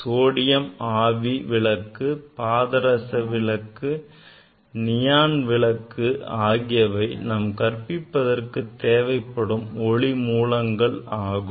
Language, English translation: Tamil, Generally this sodium light source, mercury, helium light source, neon these generally these are the source we use in our teaching laboratory